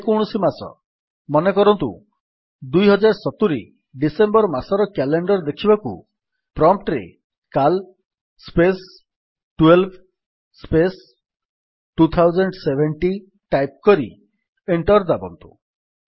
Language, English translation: Odia, To see the calendar of any arbitrary month say December 2070, type at the prompt: cal space 12 space 2070 and press Enter